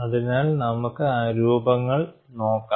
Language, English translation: Malayalam, So, that is one way of comparing the shapes